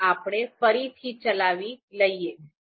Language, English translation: Gujarati, So, let’s execute again